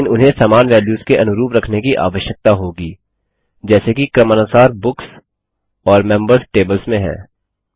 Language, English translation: Hindi, But, they will need to correspond to the same values as we have in the Books and Members tables respectively